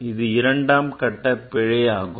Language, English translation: Tamil, This is a second order error